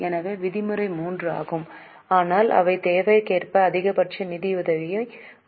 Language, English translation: Tamil, So, norm is 3, but they can bring down maximum financing as for the requirement